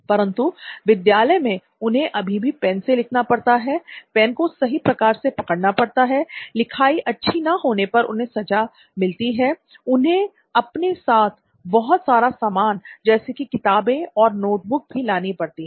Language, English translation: Hindi, But at school they face that they still have to write and hold their pens like this, they are penalized if their handwriting is not good, they have to carry a whole bunch of things with them like textbooks and notebooks